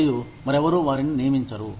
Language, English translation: Telugu, And, nobody else will hire them